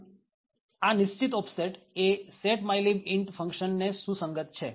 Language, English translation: Gujarati, So, this particular offset corresponds to a function setmylib int